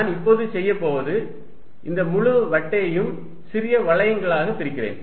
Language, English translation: Tamil, What I am going to do now is, divide this entire disc into small rings